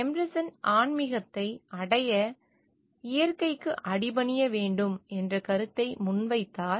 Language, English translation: Tamil, So, Emerson advocated the idea of yielding oneself to nature for attaining spirituality